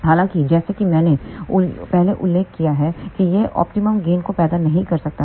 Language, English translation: Hindi, However, as I mentioned earlier this may not give rise to the optimum gain